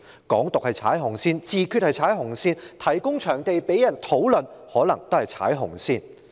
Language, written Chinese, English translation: Cantonese, "港獨"是踩"紅線"、"自決"是踩"紅線"、提供場地讓人進行討論可能也是踩"紅線"。, Hong Kong independence is stepping on the red line self - determination is stepping on the red line and providing a venue for discussions may also be stepping on the red line